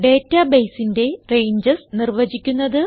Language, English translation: Malayalam, How to define Ranges for database